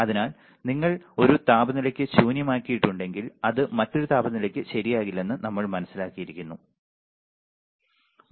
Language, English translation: Malayalam, So, we had understand that a different temperature if you have nulled for 1 temperature it may not be nulled for another temperature ok